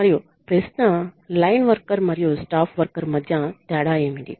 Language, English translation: Telugu, And the question was: what is the difference between line worker and a staff worker